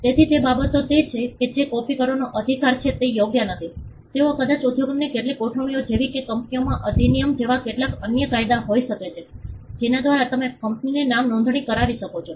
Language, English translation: Gujarati, So, those things are it is not subject matter of copy right, they maybe some industry arrangement they may be some other statutes like the companies act, by which you can register company names